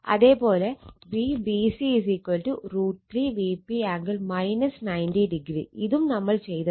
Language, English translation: Malayalam, V bc is root 3 V p angle minus 90 degree that also we have done